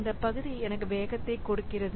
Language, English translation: Tamil, So, this part gives me the speed up